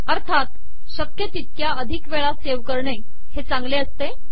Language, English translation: Marathi, It is always a good idea to save as often as possible